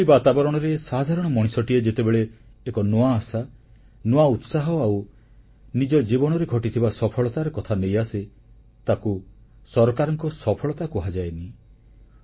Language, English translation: Odia, In such an environment, when the common man comes to you talking about emerging hope, new zeal and events that have taken place in his life, it is not to the government's credit